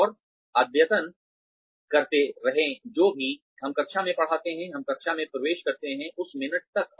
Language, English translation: Hindi, And, keep updating, whatever we teach in the classroom, till the minute, we enter the classroom